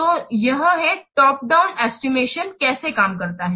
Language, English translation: Hindi, So this is how the top down estimation this works